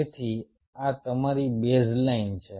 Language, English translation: Gujarati, so this is your baseline, ok